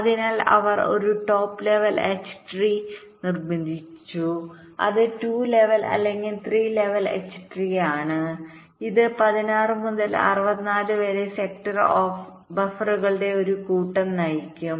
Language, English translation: Malayalam, the drive its a two level or three level h tree that will drive a set of sixteen to sixty four sector buffers